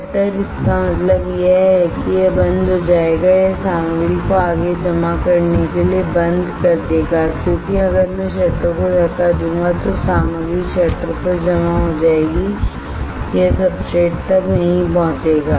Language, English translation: Hindi, Shutter; that means, it will shut down it will stop the material to further deposit, because if I push the shutter the material will get deposited on the shutter it will not reach the it will not reach the substrate